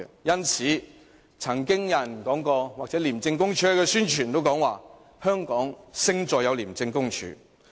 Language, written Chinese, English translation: Cantonese, 因此，曾經有人說過，或者廉署宣傳時也說過：香港勝在有 ICAC。, Thus people have been saying and ICAC has also been advocating in its publicity that Hong Kongs advantage is ICAC